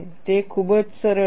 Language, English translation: Gujarati, It is very important